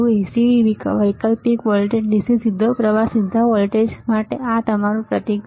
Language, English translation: Gujarati, This is your symbol for AC alternative voltage DC direct current or direct voltage ok